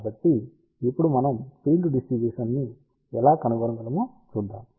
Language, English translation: Telugu, So, let us see now, how we can find the field distribution